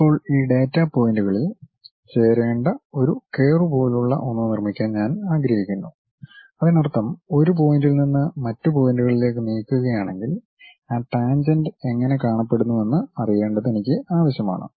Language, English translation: Malayalam, And, now, I would like to construct something like a curve I had to join these data points; that means, I need something like from one point to other point if I am moving how that tangent really looks like